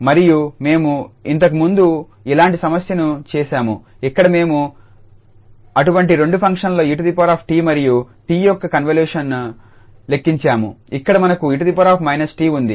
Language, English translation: Telugu, And we have done this similar problem before where we have just evaluated the convolution of such two functions exponential t and t, here we have exponential minus t